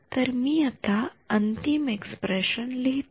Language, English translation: Marathi, So, I will write down the final expression